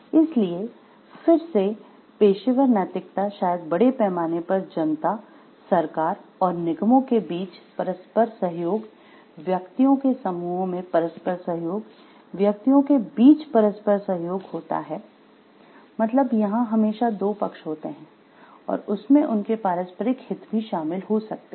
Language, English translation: Hindi, So, again the professional ethics were maybe cooperation and government to corporations at the public at large, cooperation in the groups of individuals cooperation and the individual, always there is an intersection of 2 parties and there may be mutual interests are involved